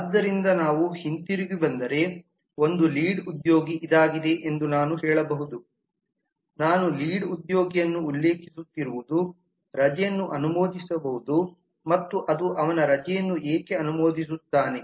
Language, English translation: Kannada, so if we come back we can say that a lead this is what i was referring to a lead can approve leave and what does it approve his leave